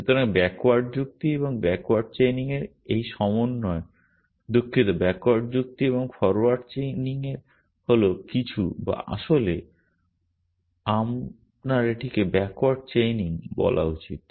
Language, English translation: Bengali, So, this combination of backward reasoning and backward chaining sorry backward reasoning and forward chaining is something or actually you should call it backward chaining